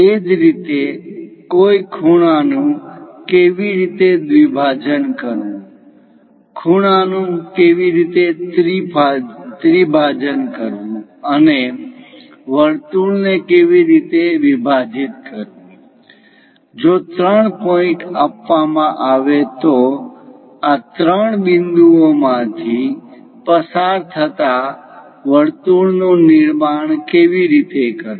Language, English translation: Gujarati, Similarly, how to bisect an angle, how to trisect an angle, how to divide circles, if three points are given how to construct a circle passing through these three points